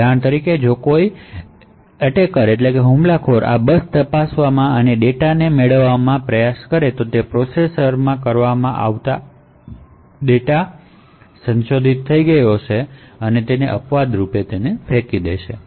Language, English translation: Gujarati, So, for example if an attacker tries to modify this data on this bus checks would be done in the processor to identify that the data has been modified and would throw an exception